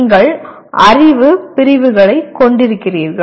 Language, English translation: Tamil, Then you have knowledge categories